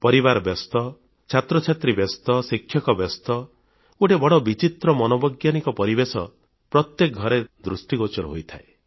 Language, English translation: Odia, Troubled families, harassed students, tense teachers one sees a very strange psychological atmosphere prevailing in each home